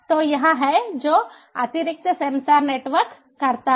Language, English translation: Hindi, so this is what additional sensor networks does